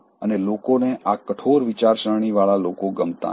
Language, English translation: Gujarati, And people don’t like this rigid minded people